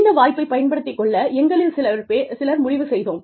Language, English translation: Tamil, Some of us decided, to take up this opportunity